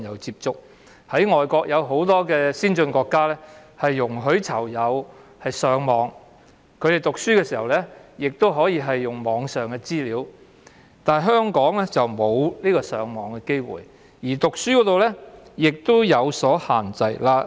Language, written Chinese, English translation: Cantonese, 海外很多先進國家都容許囚友上網，他們讀書亦可以利用網上資源，但香港的囚友則沒有上網機會，所讀的書刊亦有所限制。, In many advanced overseas countries PICs are allowed to use the Internet . If they have to study they can also access online resources . PICs in Hong Kong are however kept away from the Internet and are not allowed to read freely